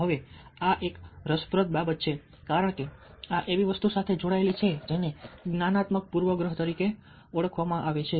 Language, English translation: Gujarati, now, this is an interesting thing because this gets linked to something which is known as cognitive bias